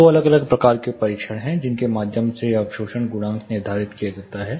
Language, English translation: Hindi, There are two different types of tests through which absorption coefficient itself is determined